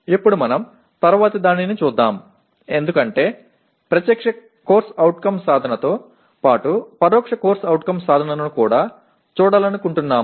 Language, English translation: Telugu, Now let us look at the next one because we want to look at direct CO attainment as well as indirect CO attainment